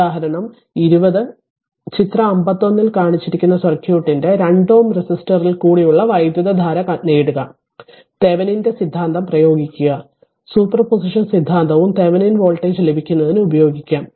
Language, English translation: Malayalam, So, example 20 obtain the current in 2 ohm resistor of the circuit shown in figure 51, use Thevenin’s theorem also super position also you will use to get the Thevenin voltage